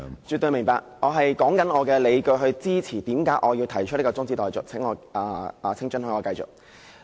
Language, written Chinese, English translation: Cantonese, 絕對明白，我是說出理據來支持為何我要提出中止待續議案，請准許我繼續發言。, I definitely understand your point . I am now advancing my grounds for supporting my moving of this adjournment motion . Please allow me to continue with my speech